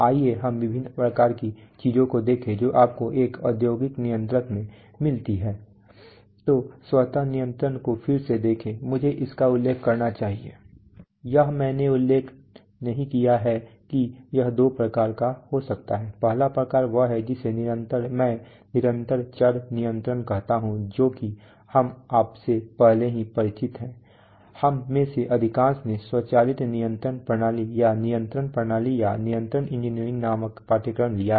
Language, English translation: Hindi, So when, so let us look at automatic control, automatic control again I must mention this, this I have not mentioned can be of two types the first type is what I call continuous variable control that is what we are familiar with you have already, most of us have taken a course in that called automatic control system, or control systems, or control engineering